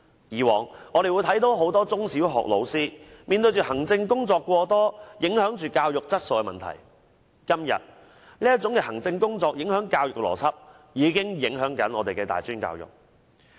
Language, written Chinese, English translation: Cantonese, 以往，我們看到很多中小學老師面對行政工作過多，影響教育質素的問題；今天，這些影響教育邏輯的行政工作，正影響着我們的大專教育。, In the past heavy administrative work that primary and secondary school teachers had to handle impacted negatively on education quality; today such administrative work that undermines education logics are affecting our tertiary education